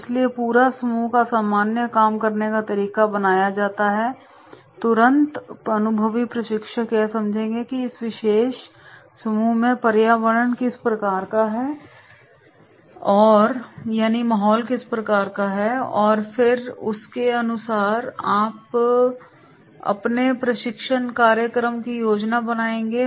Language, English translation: Hindi, So general functioning of the overall group is created, immediately the experienced trainer will understand that is what sort of the environment is there in this particular group and then accordingly he will plan his training program